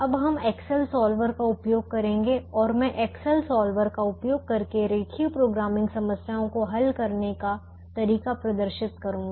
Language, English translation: Hindi, now we will use the excel solver and i will demonstrate how to solve linear programming problems using the excel solver